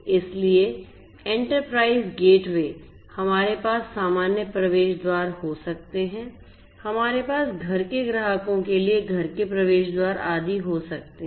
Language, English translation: Hindi, So, enterprise gateway; enterprise gateway, we can have normal access gateways, we can have home gateways for home customers and so on